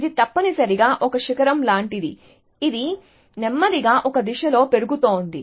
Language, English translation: Telugu, So, it is like a ridge essentially, which is slowly increasing in one direction